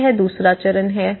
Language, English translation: Hindi, So, this is a stage 2